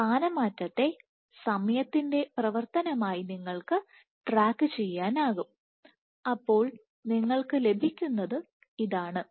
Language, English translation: Malayalam, So, you can track the displacement as a function of time and what you can get is